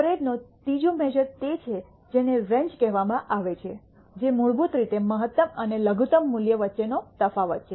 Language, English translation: Gujarati, A third measure of spread is what is called the range that is basically the difference between the maximum and minimum value